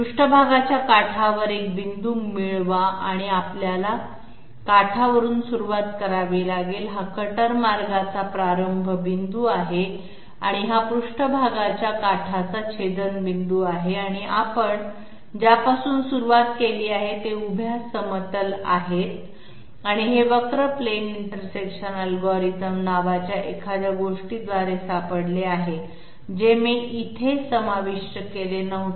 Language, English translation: Marathi, Get a point on the edge of the surface so we have to start from the edge, this is the start point of the cutter path and this is the intersection of the edge of the surface and the vertical plane that you have started with and this is found out by something called curve plane intersection algorithm, which I had not included here